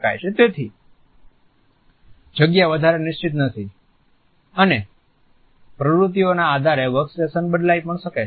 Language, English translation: Gujarati, So, the space is no more fixed and the workstations may also change on the basis of the activities